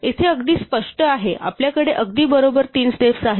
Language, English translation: Marathi, Here is very clear, we have exactly three steps right